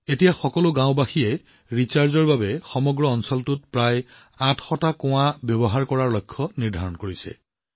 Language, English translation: Assamese, Now all the villagers have set a target of using about 800 wells in the entire area for recharging